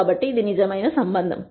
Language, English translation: Telugu, So, this is a true relationship